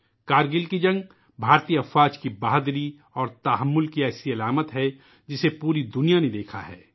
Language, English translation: Urdu, The Kargil war is one symbol of the bravery and patience on part of India's Armed Forces which the whole world has watched